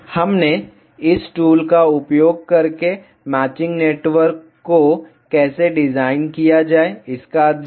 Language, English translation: Hindi, We studied how to design a matching network using this tool